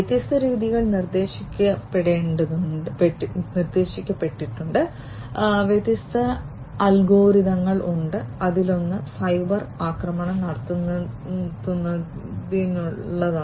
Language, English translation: Malayalam, So, different method methodologies have been proposed, different algorithms are there, one of which is for cyber attack detection